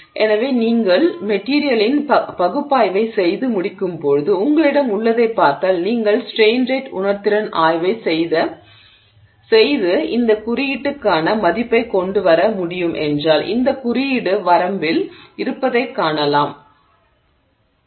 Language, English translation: Tamil, So, when you get done with the analysis of the material, if you actually look at what you have you have I mean if you can do this strain rate sensitivity study and come up with a value for this index and you find this index to be in the range of this point 3